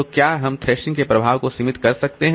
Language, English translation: Hindi, So can we limit the effect thrashing